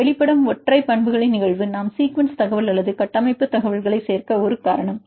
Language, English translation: Tamil, But the case of exposed single properties very difficult to explain this is a reason why we include the sequence information or structure information